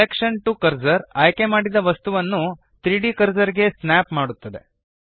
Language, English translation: Kannada, Selection to cursor snaps the selected item to the 3D cursor